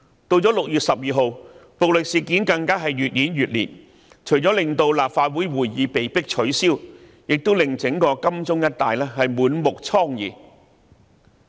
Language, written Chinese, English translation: Cantonese, 及至6月12日，暴力事件更越演越烈，除了令立法會會議被迫取消，亦令整個金鐘一帶滿目瘡痍。, On 12 June violent incidents became more serious . Meetings of the Legislative Council were forced to be cancelled and the whole Admiralty area was a scene of devastation